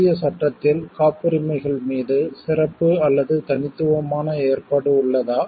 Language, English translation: Tamil, Is there in the special or unique provision on Patents in the Indian law